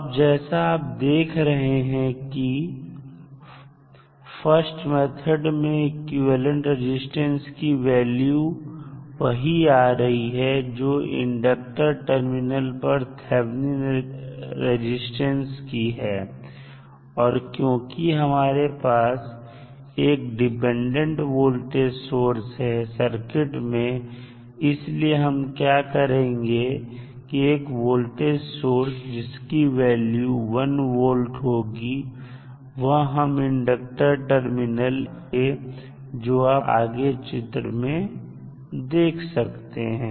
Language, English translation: Hindi, Now, in first method the equivalent resistance is the same as Thevenin resistance at the inductor terminals now, since, we have a dependent voltage source available in the circuit, what we can do, we can use one voltage source that we ley say that the value of that voltage source is 1 volt